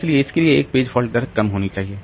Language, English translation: Hindi, So, for that this page fault rate should be low